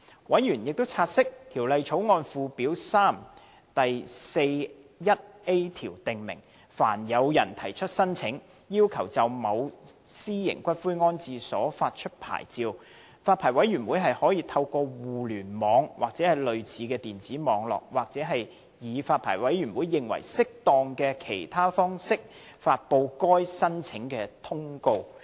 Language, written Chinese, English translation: Cantonese, 委員察悉，《條例草案》附表3第 41a 條訂明，凡有人提出申請，要求就某私營骨灰安置所發出牌照，發牌委員會可透過互聯網、或類似的電子網絡，或以發牌委員會認為適當的其他方式，發布該申請的通告。, Members note that under section 41a of Schedule 3 to the Bill the Licensing Board may publish a notice of an application for the issue of a licence in respect of a private columbarium through the Internet or a similar electronic network or in any other manner that the Licensing Board considers appropriate